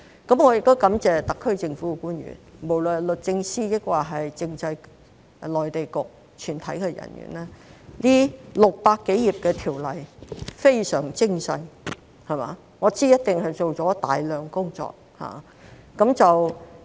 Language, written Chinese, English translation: Cantonese, 我亦感謝特區政府官員，無論是律政司或政制及內地事務局全體人員，這600多頁的《條例草案》非常精細，我知道一定做了大量工作。, I am also grateful to the officials of the SAR Government be it the staff of the Department of Justice or the Constitutional and Mainland Affairs Bureau . The Bill comprising 600 - odd pages is meticulous in its details and I know it must have involved a lot of work